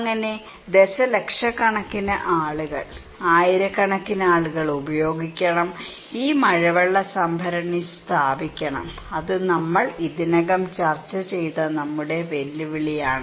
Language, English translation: Malayalam, So, millions of people; thousands and thousands of people should use; should install this rainwater tank that is our challenge that we already discussed about